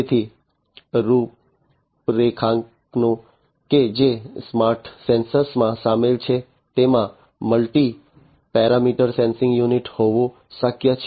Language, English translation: Gujarati, So, the configurations that are involved in the smart sensors are it is possible to have a multi parameter sensing unit